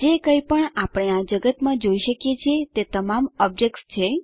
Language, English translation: Gujarati, Whatever we can see in this world are all objects